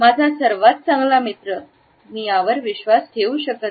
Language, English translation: Marathi, My best friend I cannot believe this